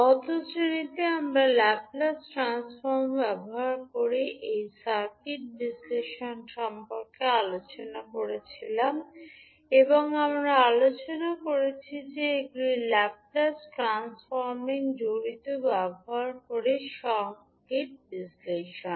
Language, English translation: Bengali, So, in the last class we were discussing about this circuit analysis using laplace transform and we discussed that these are circuit analysis using laplace transforming involves